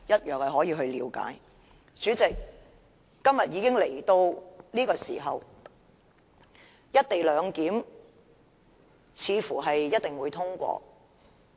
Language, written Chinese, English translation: Cantonese, 代理主席，今天會議來到這個時候，"一地兩檢"似乎一定會通過。, Deputy President having reached this point of the meeting I believe the co - location arrangement will probably be passed